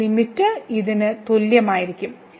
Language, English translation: Malayalam, So, what is the limit here